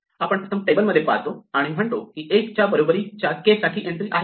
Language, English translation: Marathi, We first look in the table and say is there an entry for k equal to 1, yes there is and so we pick it up